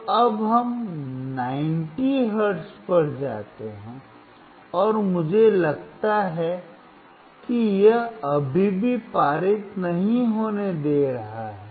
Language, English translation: Hindi, So now, we go to 90 hertz, and I see it is still not allowing to pass